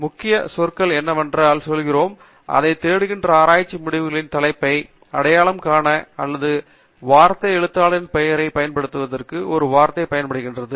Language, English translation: Tamil, What we mean by a keyword search is using a word to identify the topic of the research result that we are looking for, or to use the author’s name